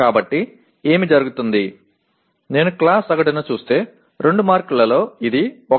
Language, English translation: Telugu, So what happens, out of the 2 marks if I look at the class average, it is 1